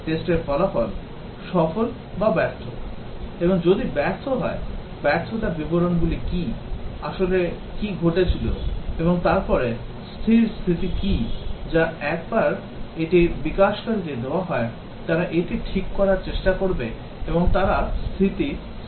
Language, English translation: Bengali, The test result pass or fail; and if fail, what are the details of the failure, what really happened, and then what is the fix status, which is once this is given to the developer; they would try to fix it and they would write the fix status